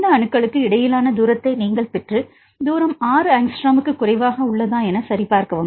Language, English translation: Tamil, You get the distance between these atoms and check whether the distance is less than 6 angstrom